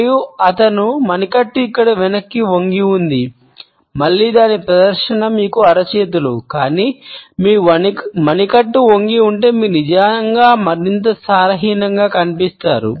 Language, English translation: Telugu, And his wrist is bent backwards here, again its great show you palms, but if your wrist is bent you actually come across as more flimsy